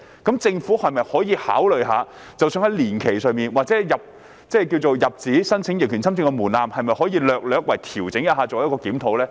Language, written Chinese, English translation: Cantonese, 主席，政府可否考慮在年期或入紙申請逆權侵佔的門檻上略為調整，並作檢討呢？, President can the Secretary consider slightly adjusting the number of years and the threshold on filing applications for adverse possession and conduct a review?